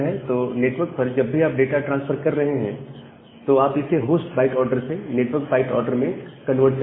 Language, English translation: Hindi, So, whenever you are transferring the data over the network, you convert it from the host byte order to the network byte order, transfer it over the network